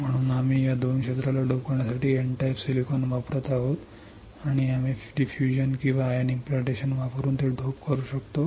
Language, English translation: Marathi, So, we are using N type silicon to dope these 2 area, and we can dope it by using diffusion or ion implantation